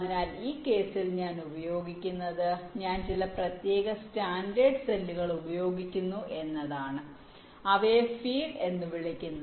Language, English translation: Malayalam, so what i do in this case is that i used some special standard cells, which are called feed though cells